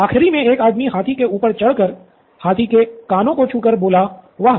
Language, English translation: Hindi, The last one went on top of the elephant and said, and touched its ears and said, Wow